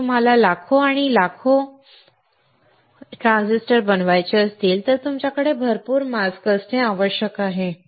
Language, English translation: Marathi, If you want to fabricate millions and millions of transistors, you have to have lot of masks